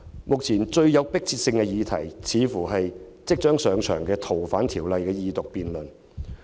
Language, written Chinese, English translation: Cantonese, 目前，最有迫切性的議題理應是即將上場的《逃犯條例》二讀辯論。, At present the most pressing issue should be the upcoming Second Reading of the amendment bill related to FOO